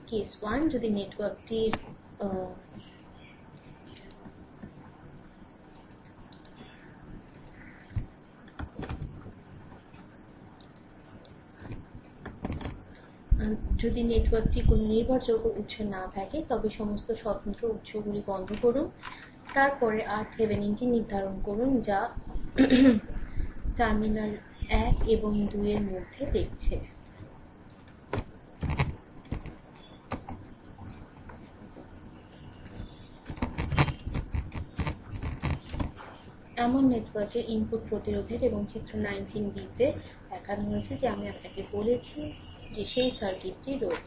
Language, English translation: Bengali, Case 1, if the network has no dependent sources right, then turn off all the independent sources; then determine R Thevenin which is the input resistance of the network looking between terminals 1 and 2 and shown as shown in figure 19 b that I have that circuit as I have told you right